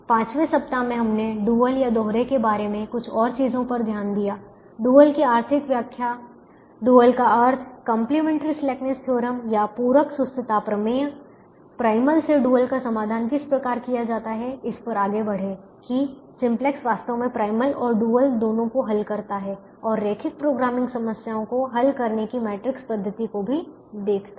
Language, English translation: Hindi, in the fifth week we look at some more things about the dual: the economic interpretation of the dual, the meaning of the dual, complementary slackness theorems, how to find the solution of the dual from that of the primal, went on to say that the simplex actually solves both the primal and the and the dual and also look at matrix method of solving linear programming problems